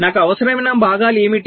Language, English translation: Telugu, so what are the components i need